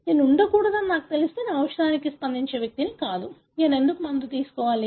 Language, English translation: Telugu, So, if I know that I am not to be, I am not the one who would respond to a drug, why I should take the drug